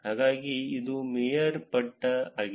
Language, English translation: Kannada, So, this is the mayorship